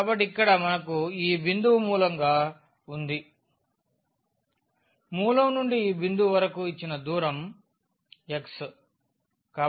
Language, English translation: Telugu, So, here we have in this point as the origin so, from the origin to this point that is the distance given by x